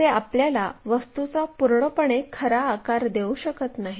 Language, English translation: Marathi, They might not give us complete true shape of the object